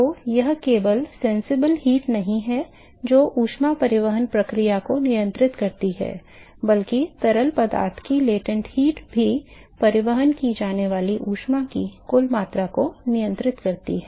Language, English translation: Hindi, So, it is not just the sensible heat that controls the heat transport process that also the latent heat of the fluid controls the net amount of heat that is transported